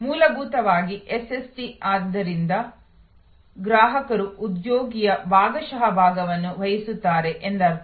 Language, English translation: Kannada, Fundamentally SST therefore, means that customer will play the part partially of an employee